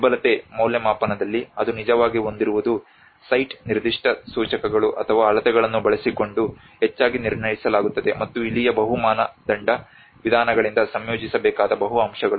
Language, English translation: Kannada, Whereas in the vulnerability assessment it actually has to it is often assessed using the site specific indicators or measurements, and this is where the multiple aspects which has to be combined by multi criteria methods